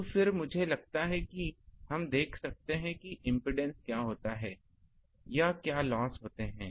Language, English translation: Hindi, Now, then ah I think we can see that what happens to the um impedance, or what is the loss